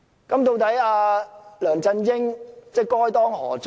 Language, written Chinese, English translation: Cantonese, 究竟梁振英該當何罪？, What was LEUNG Chun - yings wrongdoing?